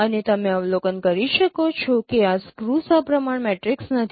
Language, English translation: Gujarati, So you see that this is a scheme symmetric matrix